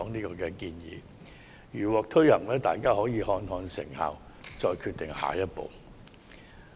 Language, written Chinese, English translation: Cantonese, 如我們的建議獲得推行，當局可視乎成效決定下一步行動。, If our suggestion is adopted depending on its effectiveness the next course of action can be decided